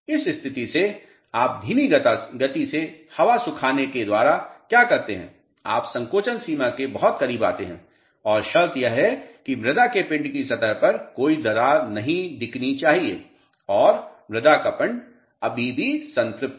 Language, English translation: Hindi, From this state what do you do by slow air drying you come very close to shrinkage limit and the condition is that no crack should appear on the surface of the soil mass and soil mass is still saturated